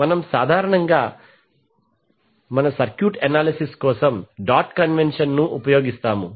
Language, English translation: Telugu, We generally use the dot convention for our circuit analysis